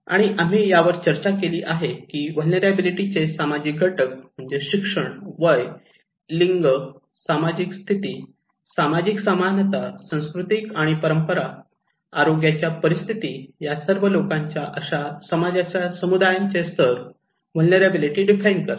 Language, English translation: Marathi, And as we discussed also that social factor of vulnerability are the level of well being the communities of societies like education, age, gender, social status, social equality, culture and traditions, health conditions they all define the vulnerability of the people